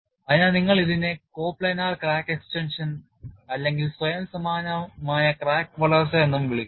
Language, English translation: Malayalam, So, you will call this as coplanar crack extension or self similar crack growth